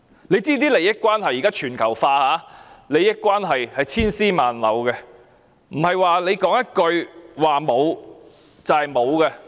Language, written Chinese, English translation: Cantonese, 現在利益關係全球化，利益關係千絲萬縷，不是說一句沒有便沒有。, At present interests are global and inextricably bound . Denial does not mean non - existent